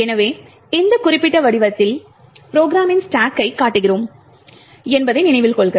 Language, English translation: Tamil, So, note that in this particular figure we show the stack of the program as we have seen before in the previous lecture